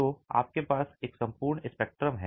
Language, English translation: Hindi, So, you have an entire spectrum